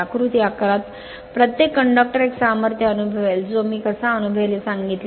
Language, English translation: Marathi, Each conductor in figure 11 will experience a force I told you how it will experience